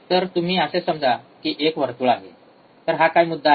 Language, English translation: Marathi, So, you see, let us assume a circle um, and what is if this is the point